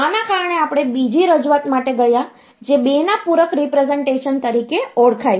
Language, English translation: Gujarati, So, because of this, we went for another representation which is known as 2’s complement representation